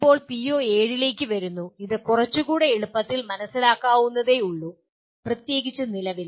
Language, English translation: Malayalam, Now coming to PO7, this is a little more easily understandable; particularly at present